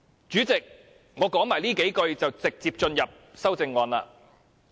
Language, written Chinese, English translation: Cantonese, 主席，我再多說數句後，便會直接討論修正案。, Chairman I will go straight to the amendments after saying a few more words